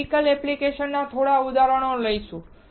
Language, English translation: Gujarati, We will take few examples of medical applications